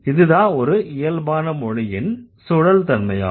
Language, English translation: Tamil, And this is the recursivity of natural language